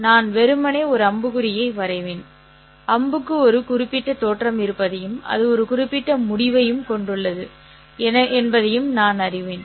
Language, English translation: Tamil, I will simply draw an arrow and I know the arrow has a certain origin and it has a certain end